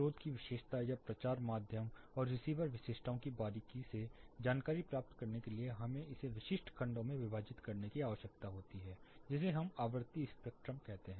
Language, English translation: Hindi, In order to get a closer look of the characteristic of the source itself or the propagating medium and the receiver characteristics we need to split it in to specific segments which we call as frequency spectrum